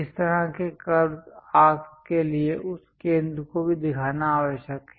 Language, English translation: Hindi, For this kind of curves arcs, it is necessary to show that center also